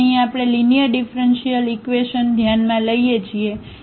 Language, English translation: Gujarati, So, here we consider the linear differential equations